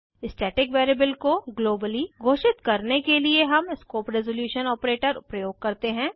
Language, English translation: Hindi, To declare the static variable globally we use scope resolution operator